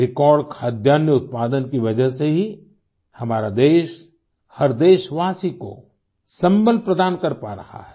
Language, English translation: Hindi, Due to the record food grain production, our country has been able to provide support to every countryman